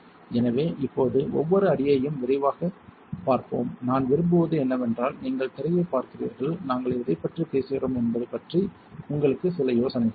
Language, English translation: Tamil, So, now, let us see each step in detail and what I would prefer is that you you see the screen so, that you have some idea about what we are talking about